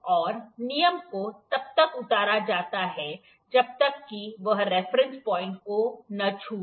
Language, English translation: Hindi, And rule is lowered until it touches the reference point